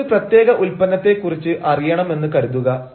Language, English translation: Malayalam, suppose you want to know about a particular product